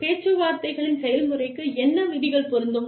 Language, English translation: Tamil, What rules will apply, to the process of negotiations